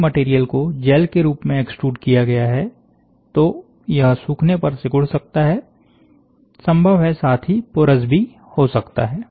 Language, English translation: Hindi, If the material is excluded in the form of a gel, the material may shrink upon drying, as well as possible becoming porous